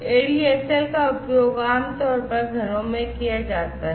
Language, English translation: Hindi, So, ADSL, ADSL is more commonly used in the households